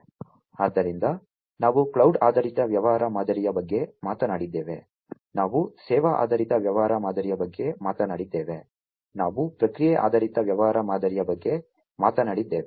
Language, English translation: Kannada, So, we talked about cloud based business model, we talked about the service oriented business model, we talked about the process oriented business model